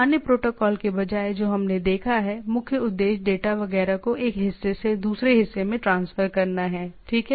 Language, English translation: Hindi, Rather than other protocols what we have seen, it is the major purpose is transferring data etcetera from one part to another, right